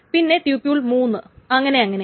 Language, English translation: Malayalam, So this is tuple 1, tuple 2, and so on so forth